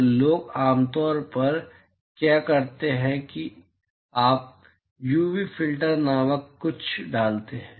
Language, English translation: Hindi, So, what people do usually is you put something called an UV filter